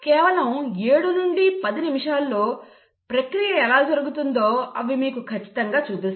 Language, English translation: Telugu, In just 7 to 10 minutes, they exactly show you how the process is happening